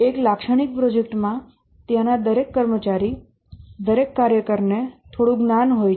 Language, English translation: Gujarati, In a typical project, every employee there, every worker has some knowledge